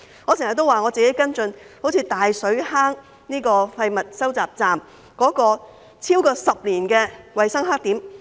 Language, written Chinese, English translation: Cantonese, 我經常也提到我跟進的大水坑廢物收集站，那是超過10年的衞生黑點。, I often mention the case of the waste collection point at Tai Shui Hang which I have been following up a hygiene blackspot for more than 10 years